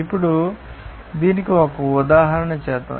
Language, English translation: Telugu, Now, let us do an example here